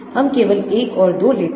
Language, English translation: Hindi, we take only one and 2